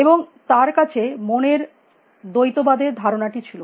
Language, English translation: Bengali, And he had this idea of mind what is dualism